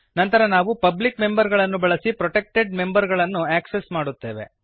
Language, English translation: Kannada, Then we access the protected members using the public members